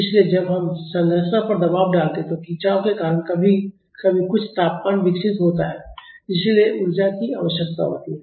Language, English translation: Hindi, So, when we stress a structure because of the strain sometimes some temperature is developed so, that needs energy